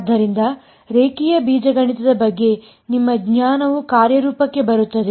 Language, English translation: Kannada, So, here is where your knowledge of linear algebra will come into play